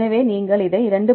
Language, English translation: Tamil, So, you give this is 2